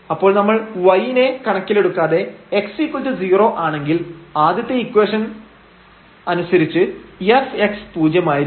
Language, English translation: Malayalam, So, from this first equation if we take x is equal to 0 irrespective of y there this f x will be 0